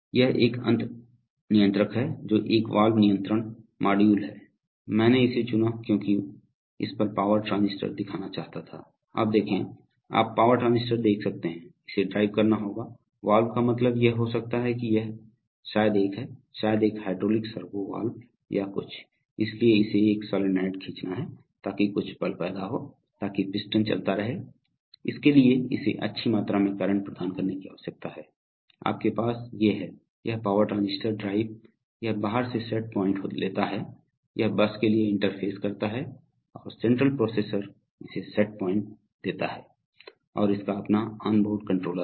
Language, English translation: Hindi, This is a, this is another controller which is a valve control module, I chose this because I wanted to show the power transistors on this, so you are, you can see the power transistors, so it has to drive, valve means it can, it is probably a, probably a hydraulics servo valve or something or, so it has to pull a solenoid create some force so that the piston moves, so for that it needs to provide good amount of current, so you have the, these are the power transistor drives, it takes set point from outside, so it interfaces to the bus and the central processor gives it the set point and it has its own onboard controller right